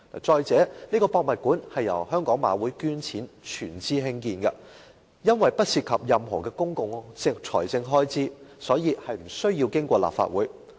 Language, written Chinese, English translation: Cantonese, 再者，這個故宮館由香港賽馬會捐錢全資興建，不涉及任何公共財政開支，所以無須經過立法會。, The building of HKPM would be totally funded by the Hong Kong Jockey Club . As no public expenditure would be incurred there was not necessary to go through the Legislative Council